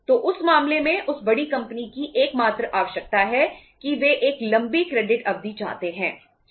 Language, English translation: Hindi, So in that case the only requirement of that big company the large company is that they want a longer credit period